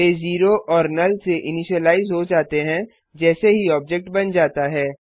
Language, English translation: Hindi, They have been initialized to 0 and null already once the object is created